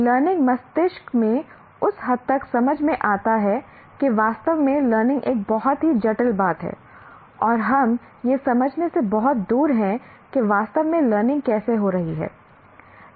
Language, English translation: Hindi, To that extent, understanding really what learning is a very complex thing and we are far from understanding how exactly learning takes place